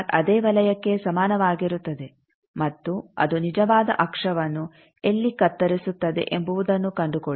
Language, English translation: Kannada, R bar is equal to that same circle and find out where it is cutting the real axis